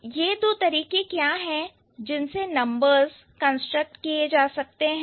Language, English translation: Hindi, So, what are these two ways by which the numbers can be constructed